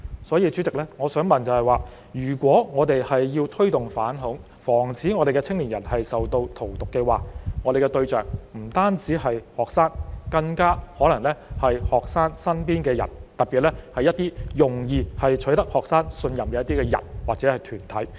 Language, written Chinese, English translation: Cantonese, 因此，主席，如果我們要推動反恐，防止青年人受到荼毒，我們的對象不應只是學生，更可能要包括學生身邊的人，特別是一些容易取得學生信任的人或團體。, President in view of this in order to promote anti - terrorism and protect young people from being poisoned we should focus our efforts on not only students but also people around them especially people or groups that can easily gain trust from them